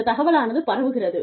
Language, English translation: Tamil, The word is spreading